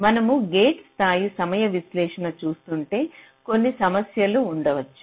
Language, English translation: Telugu, so if you are doing a gate level timing analysis, there can be some problems